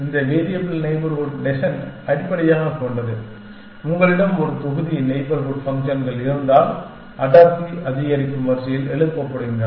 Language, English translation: Tamil, This variable neighborhood descent basically says that, if you have a set of neighborhood functions are raised in a order of increasing density